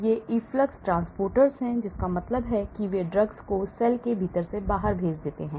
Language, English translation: Hindi, these are efflux transporters that means they throw drugs out from the cell inner